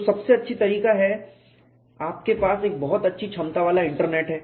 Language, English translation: Hindi, So, the best way to go about is you have powerful internet